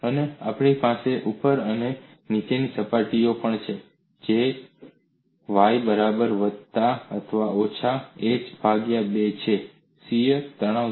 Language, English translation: Gujarati, And we also have on the top and bottom surfaces that is y equal to plus or minus h by 2, the shear stress is 0